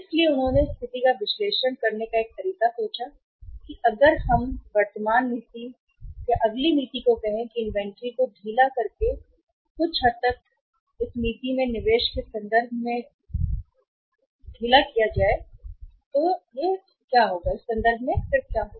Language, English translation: Hindi, So they thought of analyzing the situation in a way that if we move from the present policy to the next policy by loosening the say uh inventory policy to some extent what will happen in terms of investment and in terms of the cost